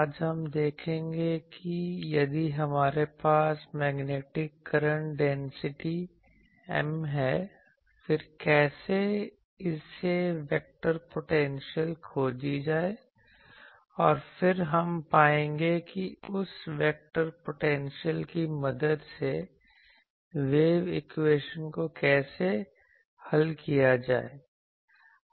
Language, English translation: Hindi, Today we will see that if we have a Magnetic Current Density M, then how to find the vector potential from it and then, we will find what is the how to solve the wave equation with the help of that vector potential